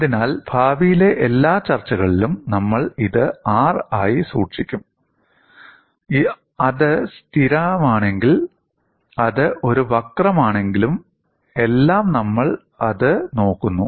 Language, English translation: Malayalam, So, in all our future discussions, we will simply keep this as R; whether it is constant, whether it is a curve all that, we look at it